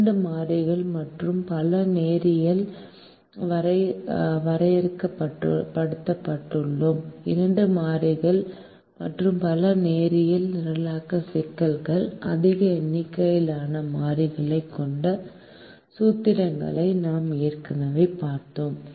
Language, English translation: Tamil, we have already seen formulations that involve more than two variables and several linear programming problems have a large number of variables